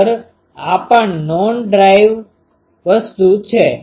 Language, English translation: Gujarati, Actually, this is also say non driven thing